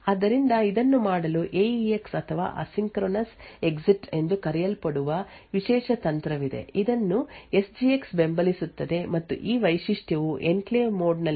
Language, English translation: Kannada, So, in order to do this there is a special technique known as the AEX or the Asynchronous Exit which is supported by SGX and this feature would actually permit interrupts to be handled when in enclave mode as well